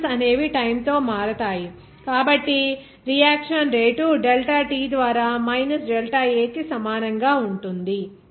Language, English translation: Telugu, Since reactants go away with time, so, we can write here rate of reaction will be is equal to minus delta A by del t